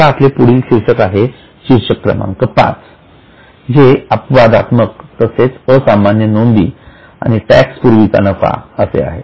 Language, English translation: Marathi, Now we have got next heading heading 5 that is profit before exceptional and extraordinary items and tax